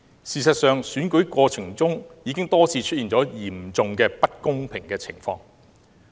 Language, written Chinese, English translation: Cantonese, 事實上，在選舉過程中已經多次出現了嚴重不公的情況。, As a matter of fact in the run - up to the election we have seen many of these unfair incidents